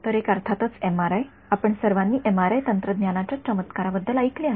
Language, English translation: Marathi, So, one is of course, MRI we all have heard of the wonders of MRI technology right